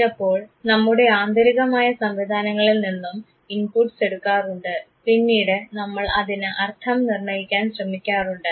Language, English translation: Malayalam, Sometimes it might be that might draw some inputs even from our internal mechanism and then we try to assign a meaning to it